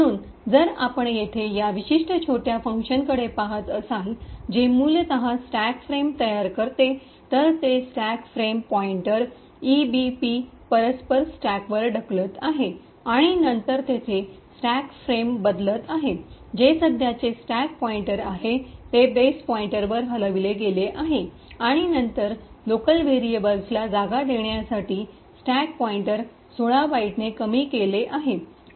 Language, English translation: Marathi, So, if you look at this particular small function over here which essentially creates the stack frame, it pushes the stack frame pointer, EBP on to the stack that corresponds to this and then there is a changing of stack frame that is the current stack pointer is moved to base pointer and then the stack pointer is decremented by 16 bytes to give space for the local variables